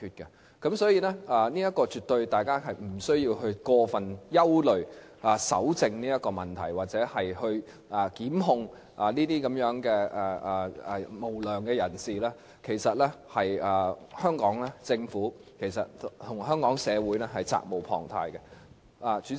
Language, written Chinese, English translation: Cantonese, 因此，大家絕對無須過分憂慮搜證方面的問題，而檢控這些無良人士，其實是香港政府及社會責無旁貸的。, Therefore it is absolutely unnecessary for Members to be over - worried about the problems with evidence collection and it is indeed incumbent upon the Hong Kong Government and society to institute prosecution against these unscrupulous people